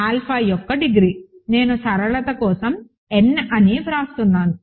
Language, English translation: Telugu, So, degree of alpha, I will write it like this for simplicity is n